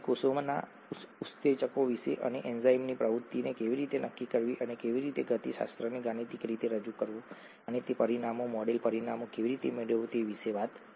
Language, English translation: Gujarati, We talked of enzymes in the cell and how to quantify the enzyme activity and how to get how to represent the kinetics mathematically and how to get those parameters, the model parameters